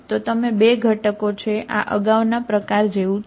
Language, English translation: Gujarati, So you are 2 components, each of this is like earlier type